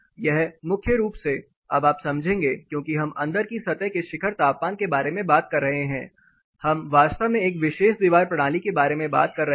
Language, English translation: Hindi, This primarily now you will understand since we talking about the peak inside surface temperature we are you know actually talking about a particular wall system